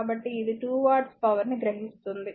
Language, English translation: Telugu, So, this one your this is the 2 watt the power absorbed